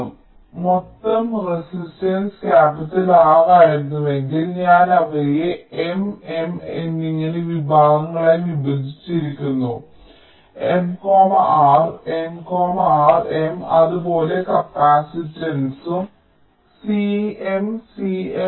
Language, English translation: Malayalam, so if the total resistance was capital r, i have divided them into m in m, such segments, r by m, r by m, r by m